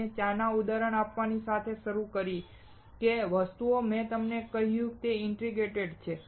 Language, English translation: Gujarati, I started with giving you an example of the tea, that the things that I told you were the ingredients